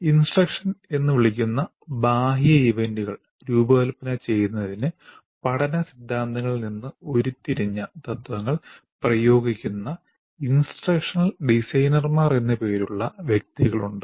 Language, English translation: Malayalam, Now, there are persons called instructional designers who apply the principles derived from learning theories to design external events we call instruction